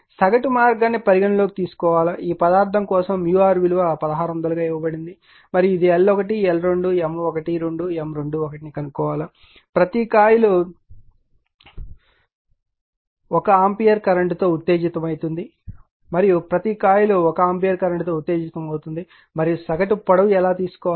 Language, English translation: Telugu, And you have to you have to consider the your mean path all the time in mu r for this one is given for this material is 1600 right it is given and you have to find out L 1, L 2, M 1 2 M 2 1 each coil is excited with 1 ampere current and each coil is excited with 1 ampere current will only considered for this one